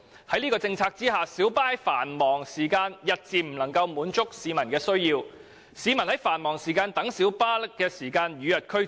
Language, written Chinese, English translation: Cantonese, 在這樣的政策下，小巴日漸不能滿足市民在繁忙時間的需要，而市民於繁忙時間等候小巴的時間亦與日俱增。, Under such a policy light bus services have gradually failed to meet public demand during peak hours and people have to wait longer for light buses during peak hours